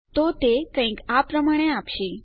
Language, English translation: Gujarati, So, that will give us something like that